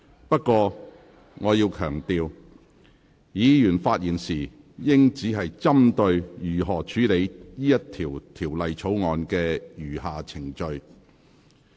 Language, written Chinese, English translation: Cantonese, 不過，我要強調，議員發言時應針對如何處理《條例草案》的餘下程序。, However I must stress that Members should speak on how the remaining proceedings of the Bill should be dealt with